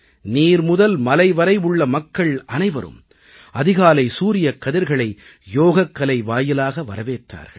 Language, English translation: Tamil, From the seashores to the mountains, people welcomed the first rays of the sun, with Yoga